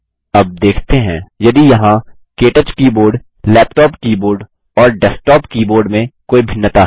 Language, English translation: Hindi, Now let us see if there are differences between the KTouch keyboard, laptop keyboard, and desktop keyboard